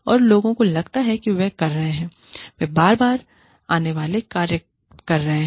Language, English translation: Hindi, And, people feel, that they have been, they are doing repetitive tasks